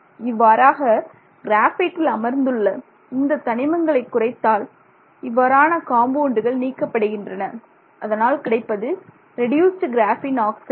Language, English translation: Tamil, So, you remove some amount of those oxygen containing compounds and then you get this reduced graphene oxide